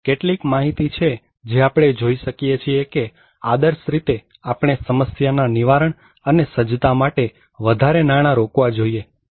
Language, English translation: Gujarati, Here are some data we can see that, actually, ideally we should have more money should be invested on prevention and preparedness